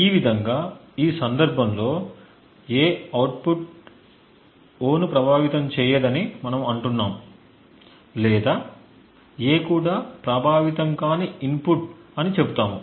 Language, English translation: Telugu, Thus, in this case we say that A does not affect the output O or we also say that A is an unaffecting input